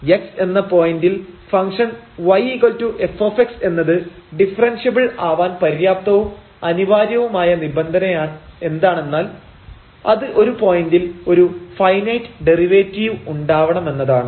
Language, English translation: Malayalam, So, the necessary and sufficient condition that the function y is equal to f x is differentiable at the point x is that it possesses a finite derivative at this point